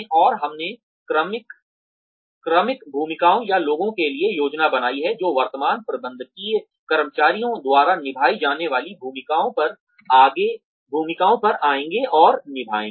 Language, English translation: Hindi, And, we planned for the successive roles, or the people, who will come and take on the roles, that are being played, by the current managerial staff